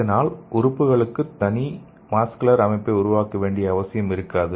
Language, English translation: Tamil, So this will eliminate the need to make a separate vascular system for the organs